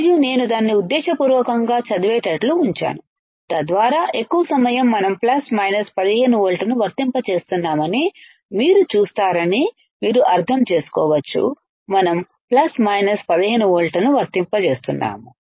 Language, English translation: Telugu, And I have kept it read deliberately, so that you can understand that most of the time the most of the time you will see that we are applying plus minus 15 volts, we are applying plus minus 15 volts ok